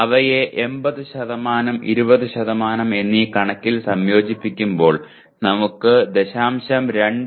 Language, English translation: Malayalam, Combining them it by 80, 20% we get 0